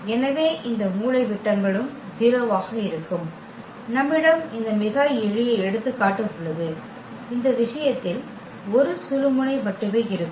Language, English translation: Tamil, So, this diagonals will be also 0 and we have this very a simple example and in this case, there will be only 1 pivot